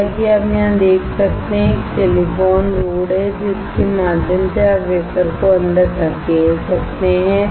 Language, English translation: Hindi, As you can see here, there is a silicon rod through which you can push the wafer inside